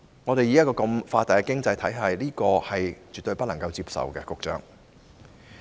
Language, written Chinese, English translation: Cantonese, 局長，以我們這個發達經濟體而言，這是絕對不能接受的。, Secretary this is absolutely unacceptable to us as an advanced economy